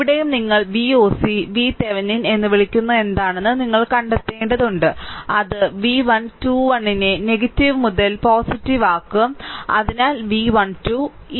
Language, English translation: Malayalam, And here also, you have to find out you what you call V oc V Thevenin that also we can make V 1 2 1 positive to negative; so, also V 1 2